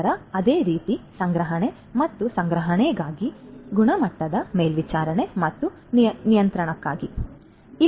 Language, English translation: Kannada, Then similarly, for the stocking in and stocking out and also for quality monitoring and control